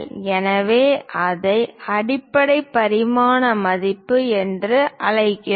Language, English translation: Tamil, So, we call that as basic dimension value